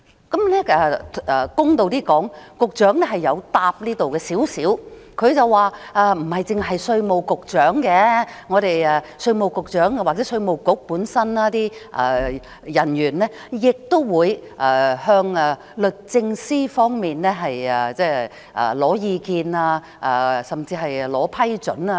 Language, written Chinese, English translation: Cantonese, 公道一點說，局長曾就這方面作出少許回應，他說不單稅務局局長，稅務局某些人員亦會徵求律政司的意見甚至批准。, To be fair the Secretary had given a couple of responses in this regard saying that not only the Commissioner but certain officials of the Inland Revenue Department IRD may also seek advice and even approval from the Department of Justice